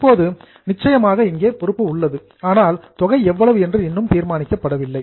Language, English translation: Tamil, Now, the liability is there is certain, but the amount is still being decided